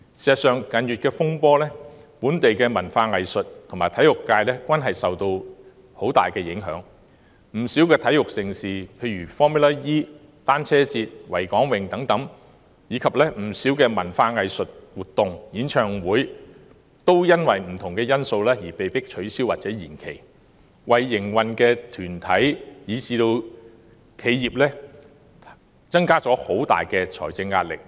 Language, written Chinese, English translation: Cantonese, 事實上，近月的風波令本地文化藝術和體育界受到很大影響，不少體育盛事如 Formula E 賽車賽事、單車節、維港泳，以至不少文化藝術活動和演唱會也基於不同因素而被迫取消或延期，對營運的團體以至企業構成很大財政壓力。, In fact the local arts and cultural and sports sectors have been seriously affected by the turmoil in recent months . Many major sports events such as Formula E Cyclothon Harbour Race as well as a number of cultural and arts events and concerts had to be cancelled or postponed due to various reasons thus causing huge financial pressure to bear on the organizer groups and companies